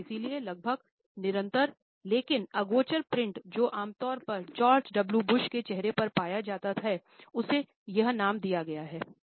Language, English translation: Hindi, And therefore, the almost continuous, but imperceptible print which was normally found on the face of George W Bush has been given this name